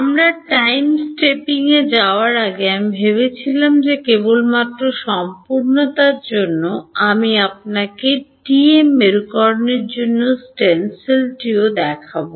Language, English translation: Bengali, Before we move to Time Stepping, I thought at of just for sake of completeness I will also show you the stencil for TM polarization